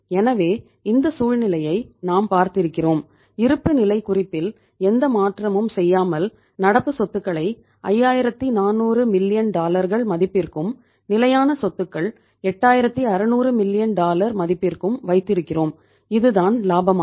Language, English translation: Tamil, So we have seen this situation and we are here without making any changes to the balance sheet having the composition of the current asset that is 5400 million dollars and fixed assets 8600 million dollars and this is the profitability